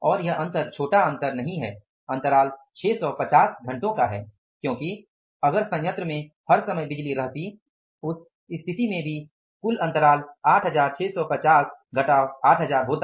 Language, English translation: Hindi, Gap is by 650 hours because had the power been there in the plant for all the times, in that case the total gap would have been 8650